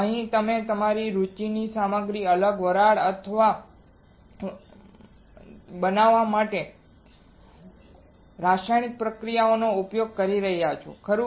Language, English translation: Gujarati, In here you are using a chemical reactions to form a different vapors of the materials of your interest, right